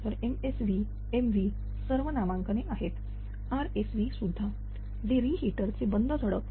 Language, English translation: Marathi, So, this MSV CV all nomenclature it is there rsv also that reheater stop valve